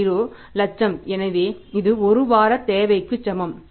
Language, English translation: Tamil, 30 lakhs so that is equal to one week's requirement